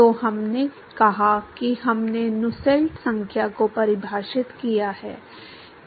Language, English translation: Hindi, So, we said that we defined Nusselt number